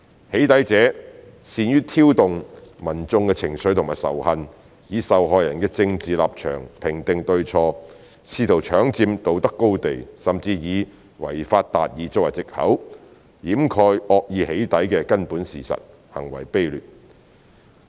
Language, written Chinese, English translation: Cantonese, "起底"者善於挑動民眾的情緒和仇恨，以受害人的政治立場評定對錯，試圖搶佔道德高地，甚至以"違法達義"作為藉口，掩蓋惡意"起底"的根本事實，行為卑劣。, Doxxers are good at stirring up emotions and hatred among the public using the victims political stance to gauge what is right or wrong trying to seize the moral high ground and even using the excuse of breaking the law to achieve justice to cover up the fundamental fact of malicious doxxing act; they are really despicable